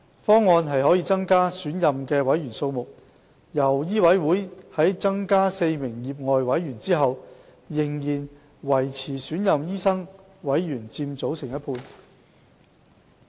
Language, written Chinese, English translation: Cantonese, 方案可增加選任委員的數目，令醫委會在增加4名業外委員後，仍然維持選任醫生委員佔委員總人數的一半。, Under this proposal after the increase of the number of elected members MCHK will still have half of its members being elected doctor members